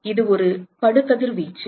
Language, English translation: Tamil, So, that is an incident radiation